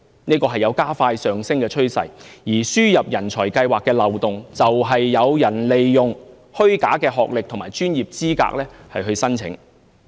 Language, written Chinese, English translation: Cantonese, 有關數字有加快上升的趨勢，而輸入人才計劃的漏洞，便是有人利用虛假學歷和專業資格作申請。, Besides as far as the loophole of various talent admission schemes is concerned some people may use falsified academic and professional qualifications in their job applications